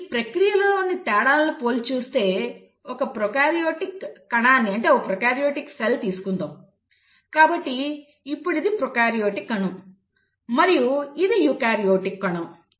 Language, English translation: Telugu, Now if one were to compare the differences in these processes, let us say in a prokaryotic cell; so this is your prokaryotic cell and this is a eukaryotic cell